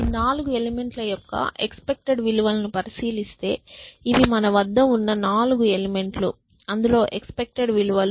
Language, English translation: Telugu, Exactly now, if you look at the expected values of these 4 elements, these are the 4 elements I have and the expected values are 0